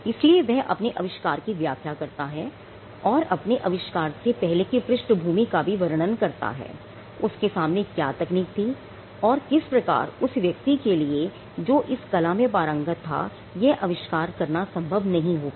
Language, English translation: Hindi, So, it is a narrative he explains his invention and he also before that he explains the background of the invention; what were the technologies before him and how it was not possible for a person skilled in the art which is his sphere to come up with this invention